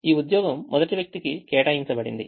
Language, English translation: Telugu, this job is assigned to the first person